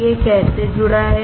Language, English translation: Hindi, How it is connected